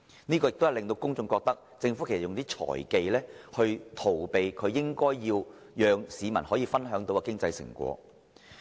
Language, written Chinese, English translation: Cantonese, 這樣只會令公眾覺得，政府運用"財技"以逃避與市民分享經濟成果。, This will only give the public an impression that the Government is using some financial management techniques to avoid sharing the economic fruits with them